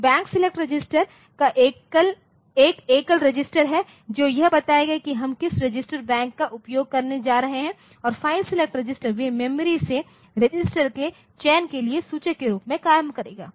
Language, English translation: Hindi, So, Bank select register is a single register that will tell which register Bank we are going to use and file select registers so, they will select they will act as pointer for the selection of register from the memory